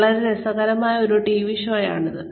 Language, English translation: Malayalam, It is a very interesting TV show